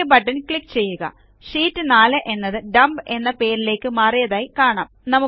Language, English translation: Malayalam, Click on the OK button and you see that the Sheet 4 tab has been renamed to Dump